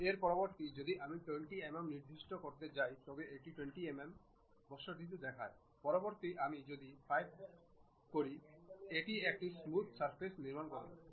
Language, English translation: Bengali, Instead of that, if I am going to specify 20 mm, it shows 20 mm radius; instead of that if I am showing 5, a smooth surface it will construct